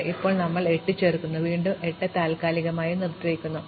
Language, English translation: Malayalam, So, now we add 8, and again suspend 6